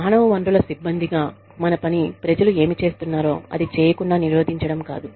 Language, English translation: Telugu, Our job, as human resources personnel, is not to prevent, people from doing, what they are doing